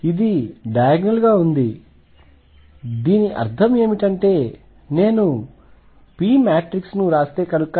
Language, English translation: Telugu, So, this is diagonal what; that means, is that if I write p matrix